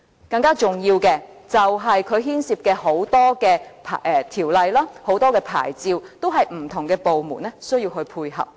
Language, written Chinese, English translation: Cantonese, 更重要的是，它牽涉到很多條例和牌照，需要不同的部門配合。, More importantly since the development of bazaars involves many ordinances and types of licences the support of different government departments is required